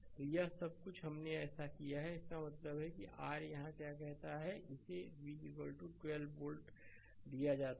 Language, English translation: Hindi, So, all this things we have done it so; that means, your what you call here it is given v is equal to 12 volt